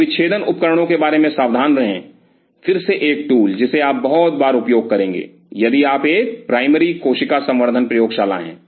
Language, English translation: Hindi, So, be careful about the dissecting instruments again a tool which you will be using very frequently, if you are a primary cell culture lab